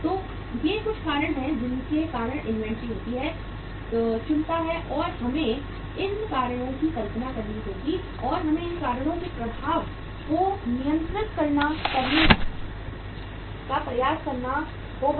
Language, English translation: Hindi, So these are some of the reasons why the inventory takes place, picks up and we have to visualize these reasons and we have to try to control the effect of these reasons